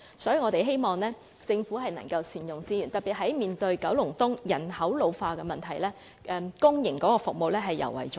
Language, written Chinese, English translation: Cantonese, 所以，我們希望政府能夠善用資源，特別是九龍東面對人口老化的問題，公營服務尤為重要。, Hence we hope the Government can optimize the use of resources especially when Kowloon East faces the problem of population ageing which has made public services all the more important